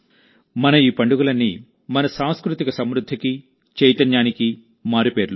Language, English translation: Telugu, All these festivals of ours are synonymous with our cultural prosperity and vitality